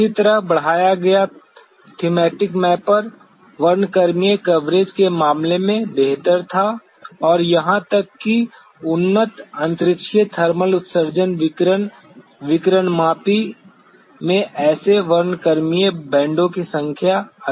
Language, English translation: Hindi, Similarly the enhanced Thematic Mapper was a better in terms of it is spectral coverage and even the advanced spaceborne thermal emission radiation radiometer was having much more number of such spectral bands